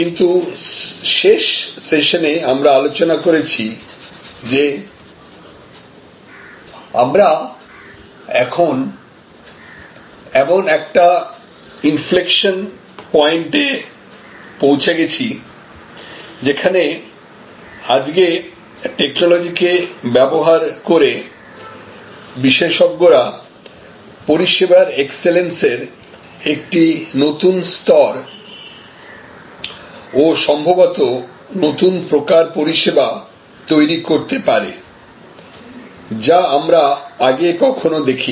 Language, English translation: Bengali, But, we discussed in the last session that we are now at an inflection point, where these experts using today's technologies can create a new level of service excellence and can perhaps create new types of services, which we had not seen before